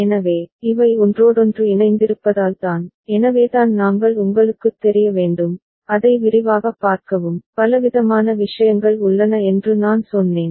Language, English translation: Tamil, So, these are the things because of the interconnections, so that is why I said that we need to you know, see it in detail and many different things are there